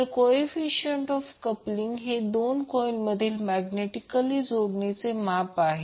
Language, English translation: Marathi, So coefficient of coupling is the measure of magnetic coupling between two coils